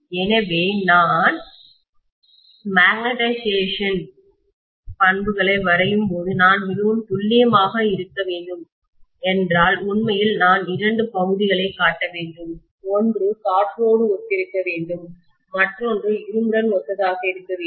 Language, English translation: Tamil, So when I draw the magnetization characteristics, actually I should show two portions if I have to be really really accurate, one should be corresponded to air, the other one should be corresponding to iron